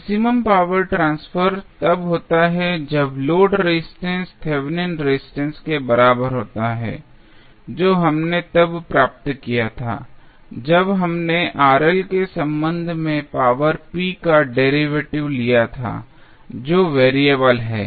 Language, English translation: Hindi, The maximum power transfer takes place when the load resistance is equal to Thevenin resistance this we derived when we took the derivative of power p with respect to Rl which is variable